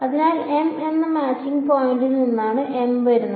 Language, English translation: Malayalam, So, m is coming from what the m th matching point right